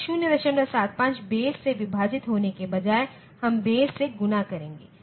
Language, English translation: Hindi, 75 will instead of dividing by the base, we will multiply by the base